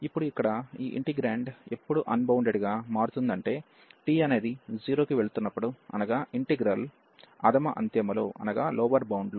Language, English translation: Telugu, And now our integrand here is getting unbounded, when this t is going to 0, so at the lower end of the integral